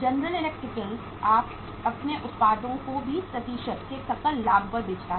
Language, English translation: Hindi, General Electric sells its products at gross profit of 20%